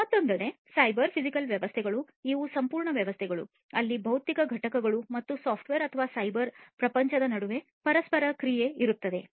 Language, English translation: Kannada, On the other hand, the cyber physical systems these are complete systems where there is an interaction between the physical components and the software or, the cyber world